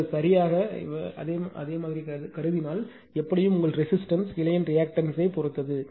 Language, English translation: Tamil, If you assume same r right, but but anyway it depends on the your resistance as well as the reactance of the branch right